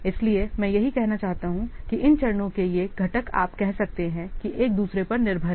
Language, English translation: Hindi, , that's what I want to say that these components, these steps you can say these are dependent on each other